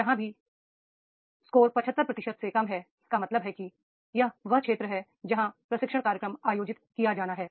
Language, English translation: Hindi, Wherever the score is less than 75 percent it means that this is the area where the training program is to be conducted